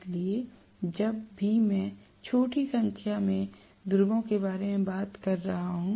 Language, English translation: Hindi, So, whenever I am talking about smaller number of poles